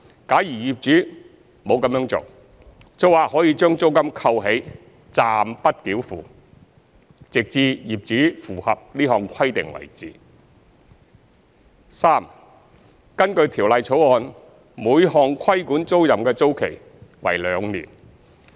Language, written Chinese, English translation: Cantonese, 假如業主沒有這樣做，租客可將租金扣起，暫不繳付，直至業主符合這項規定為止；三根據《條例草案》，每項規管租賃的租期為兩年。, If the landlord fails to do so the tenant can withhold the payment of the rent until the landlord has fulfilled this requirement; 3 According to the Bill the term of each regulated tenancy is two years